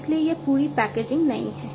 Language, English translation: Hindi, So, this whole packaging is new